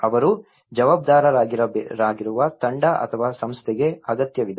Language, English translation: Kannada, They need to the team or the organization they will be responsible